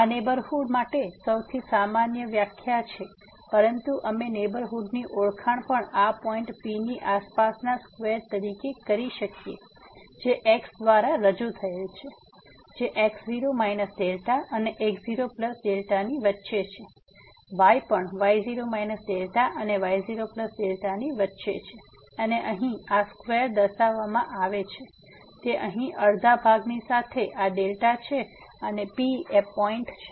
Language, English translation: Gujarati, This is the most common definition for the neighborhood, but we can also introduce neighborhood as the square around this point P introduced by the which lies between minus delta and the plus delta; also lies between minus delta and plus delta and this is represented by this is square here, with this half of the side is this delta and the P is the point